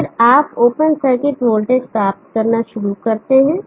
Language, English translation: Hindi, And then you start to obtain the open circuit voltage